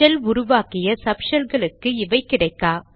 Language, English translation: Tamil, These are not available in the subshells spawned by the shell